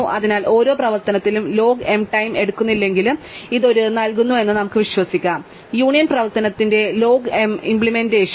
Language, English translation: Malayalam, So, though it is not the case that in every single operation takes log m time, we can kind of believe that this gives us a log m implementation of the union operation